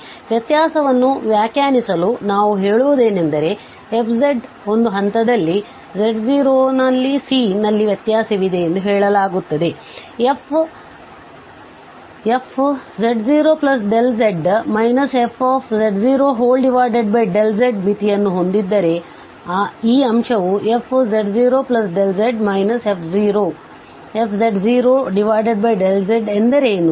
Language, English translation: Kannada, So, to define the differentiability we say a function f z is differentiable at a point this z0 from the set of complex number if this quotient has a limit, so what is this quotient f, z0 plus